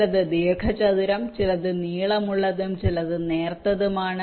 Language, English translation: Malayalam, some are rectangular, some are long, some are thin